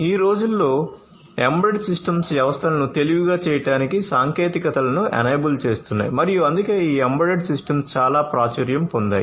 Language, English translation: Telugu, Nowadays, embedded systems are enabling technologies for making systems smarter and that is why these embedded systems are very popular